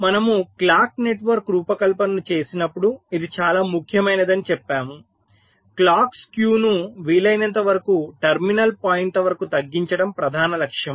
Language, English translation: Telugu, because, we said, this is very important: when you design a clock network, the main objective is to minimize the clocks skew as much as possible up to the terminal points